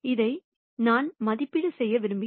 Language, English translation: Tamil, This is what I want to evaluate